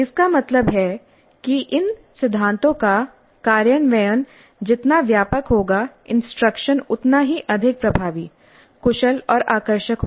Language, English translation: Hindi, That means the more extensive the implementation of these principles, the more effective, efficient and engaging will be the instruction